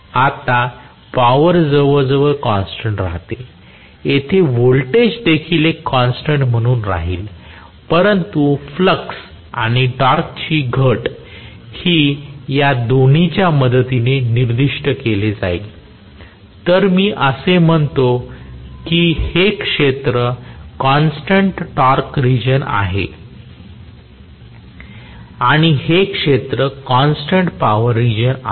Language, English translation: Marathi, Now, the power will almost remain as a constant here the voltage will also remain as a constant but this will be the reduction in flux and torque both are specified with the help of this, so, I would say this region is constant torque region and this region is constant power region